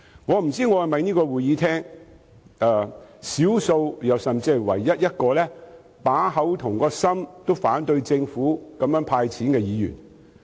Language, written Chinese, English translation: Cantonese, 我不知道我是否在會議廳內少數甚至是唯一一個口心如一，反對政府"派錢"的議員。, I wonder if I am one of the few or even the only Member in the Chamber who truly speaks his mind and opposes the making of cash handouts by the Government